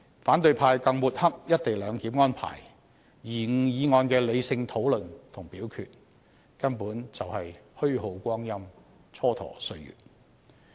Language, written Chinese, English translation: Cantonese, 反對派更抹黑"一地兩檢"安排，延誤議案的理性討論和表決，根本是虛耗光陰、蹉跎歲月。, Opposition Members also smeared the co - location arrangement and delayed the process of rational discussion and voting on the motion . They were just wasting time for no reason